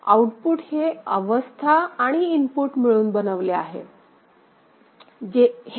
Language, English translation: Marathi, So, output derived from the state as well as the input ok